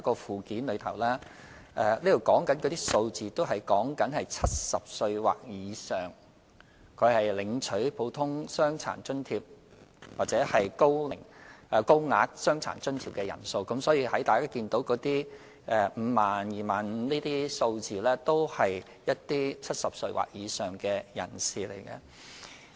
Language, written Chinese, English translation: Cantonese, 附件提供的數字是指70歲或以上領取"普通傷殘津貼"和"高額傷殘津貼"的人數，所以，大家看到 50,000、25,000 等數字，都是指70歲或以上的長者。, The figures provided in the Annex refer to the number of Normal DA and Higher DA recipients aged 70 or above . Hence the figures such as 50 000 25 000 and so on actually refer to elderly persons aged 70 or above